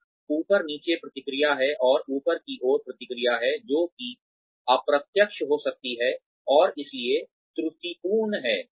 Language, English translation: Hindi, And, there is top down feedback, and upward feedback, which could be unidirectional, and hence flawed